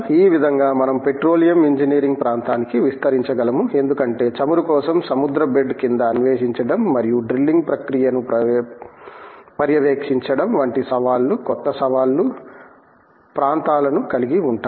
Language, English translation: Telugu, Like this we could extent to the area of petroleum engineering because the challenges of exploring below the ocean bed for oil and having to monitor the process of drilling these involve lot of new challenging areas